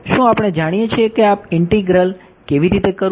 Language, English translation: Gujarati, Do we know how to do this integral